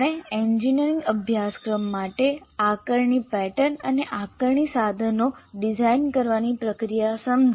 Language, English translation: Gujarati, We understood the process of designing assessment pattern and assessment instruments for an engineering course